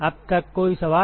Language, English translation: Hindi, Any questions so far